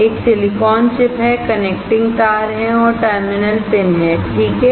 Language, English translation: Hindi, There is a silicon chip, there are connecting wires and there are terminal pins, right